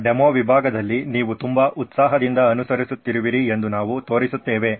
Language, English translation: Kannada, We will show that you in our demo section as well which you have been following so keenly